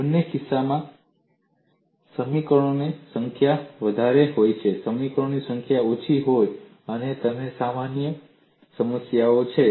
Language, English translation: Gujarati, In either case, whether the number of equations is more or number of equations is less, you have a problem